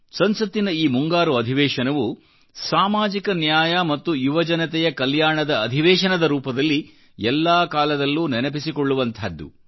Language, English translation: Kannada, This Monsoon session of Parliament will always be remembered as a session for social justice and youth welfare